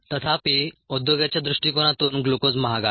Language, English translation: Marathi, sometimes, however, from an industry prospector, a glucose is expensive